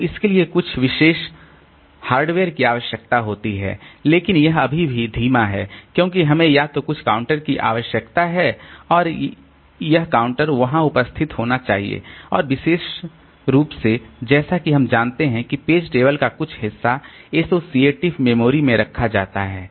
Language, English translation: Hindi, So it requires some special hardware and it is still but it is still slow because we need to have some either some counter and this counter has to be there and particularly as we know that some part of the page table is kept in the associative memory